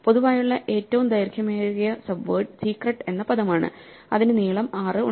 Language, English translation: Malayalam, The longest subword that is common is the word secret and it has length 6